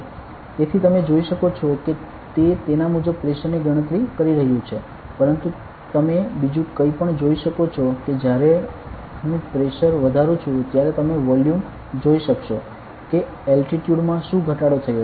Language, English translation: Gujarati, So, you can see that it is calculating the pressure accordingly, but you can see also something else that when I increase the pressure you can see the values that the altitude has what decrease